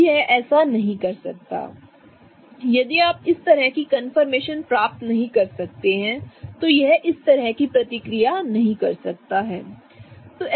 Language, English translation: Hindi, If you cannot achieve this kind of confirmation, it cannot do this kind of reaction